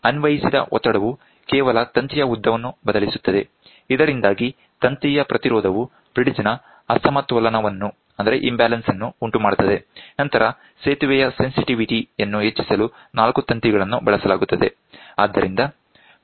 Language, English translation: Kannada, The applied pressure just changes the length of the wire due to which the resistance of the wire varies causing an imbalance in the bridge, the four wires are used to increase the sensitivity of the bridge